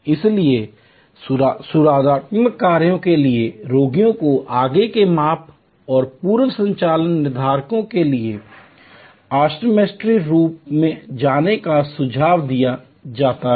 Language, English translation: Hindi, So, patients for corrective actions are suggested to go to the optometry room for further measurements and pre operation determinants